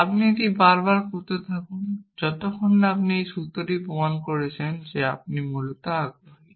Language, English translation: Bengali, You keep doing this repeatedly till you have proved the in formula that you are interested in essentially